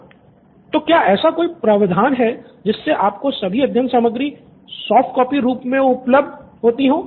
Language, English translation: Hindi, So is there a provision where all the study materials are available on a softcopy to you